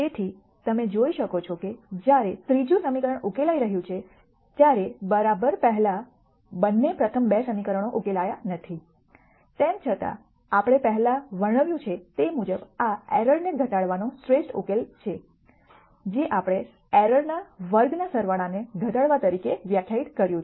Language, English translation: Gujarati, So, you can see that while the third equation is being solved exactly the first take both the first 2 equations are not solve for; however, as we described before this is the best solution in a collective minimization of error sense, which is what we de ned as minimizing sum of squared of errors